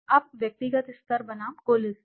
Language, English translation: Hindi, Now, individual level versus aggregate level